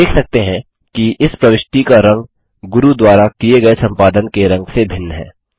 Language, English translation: Hindi, We can see that the colour of this insertion is different from the colour of the edits done by Guru